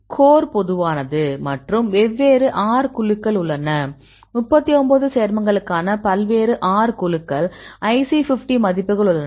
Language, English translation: Tamil, Core is common and there are different R groups; so various R groups for 39 compounds; we have the IC50 values